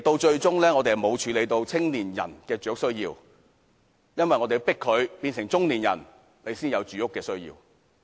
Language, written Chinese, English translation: Cantonese, 最終，我們並沒有解決青年人的住屋需要，而是待他們變成中年人才解決他們的住屋需要。, In the end we have not addressed the housing needs of young people but only address their housing need when they reach middle age